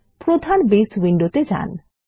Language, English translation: Bengali, Let us go to the main Base window